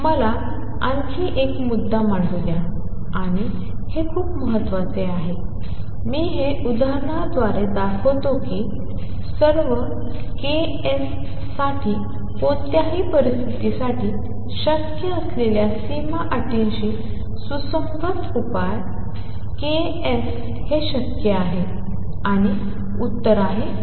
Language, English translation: Marathi, Let me make another point and this is very important, I will show this by the example that is the solution consistent with the boundary conditions possible for all k s for any value k s is it possible and the answer is no